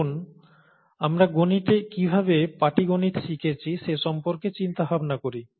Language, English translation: Bengali, Let us think about how we learnt arithmetic, in mathematics